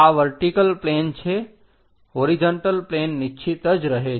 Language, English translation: Gujarati, This vertical plane, horizontal plane remains fixed